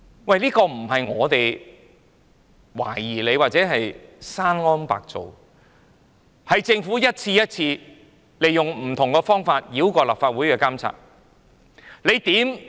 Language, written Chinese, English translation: Cantonese, 這並非純屬我們的懷疑，又或者是我們捏造，事實是政府一次又一次利用不同方法繞過立法會的監察。, This is not purely our suspicion or fabrication . As a matter of fact the Government has bypassed the monitoring of the Legislative Council one time after another in different ways